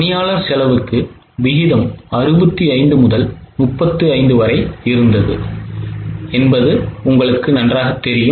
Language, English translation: Tamil, For employee cost you know the ratio was 65 to 35